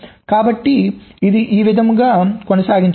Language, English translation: Telugu, so in this way it can proceed